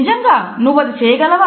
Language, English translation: Telugu, Really you could do that